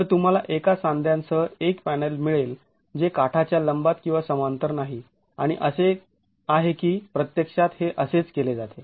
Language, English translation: Marathi, So, you get a panel with a joint which is not perpendicular or parallel to the edges and that's how this is actually been carried out